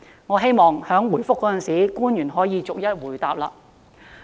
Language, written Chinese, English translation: Cantonese, 我希望官員答覆時可以逐一回應。, I hope the public officer can reply to each of these questions